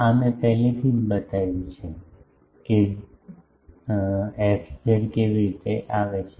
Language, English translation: Gujarati, This I have already shown that how a fz comes